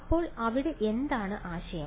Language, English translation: Malayalam, So, what is the idea here